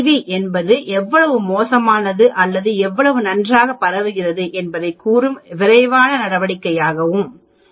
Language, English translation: Tamil, So, CV is a quick measure of telling how bad or how good the spread of the data is